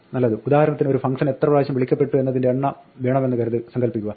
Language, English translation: Malayalam, Well, suppose for instance we want to count the number of times a function is called